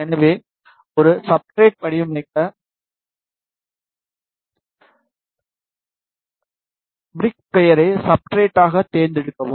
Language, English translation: Tamil, So, to design a substrate, select the brick name it as substrate